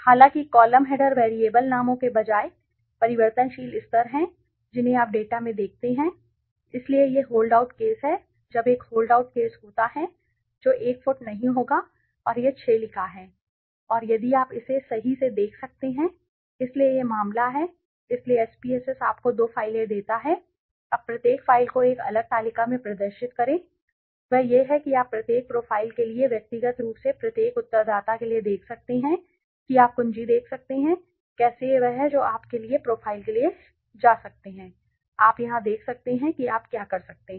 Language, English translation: Hindi, However the column headers are the variable levels rather than the variable names that you see in the data ok fine so this is the hold out case now when there is a hold out case that will be a foot not and it is written 6 and if you can check it right so this is hold out case so the SPSS gives you two files ok now to display each profiles in a separate table what you can do is you can also see for each profile individually for the each respondent you can see key whether how it is what is there response right you can go for profile for subjects here can you see you can profile for subjects